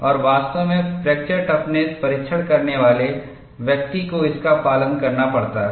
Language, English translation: Hindi, And, in fact, a person performing the fracture toughness testing has to adhere to that